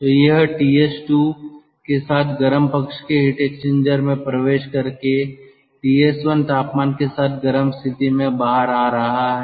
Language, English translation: Hindi, so it is entering the cold side heat exchanger with a temperature ts one and coming out with a temperature ts two from the cold side heat exchanger